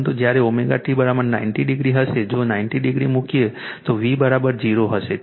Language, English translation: Gujarati, But when omega t is equal to 90 degree if you put 90 degree then V is equal to 0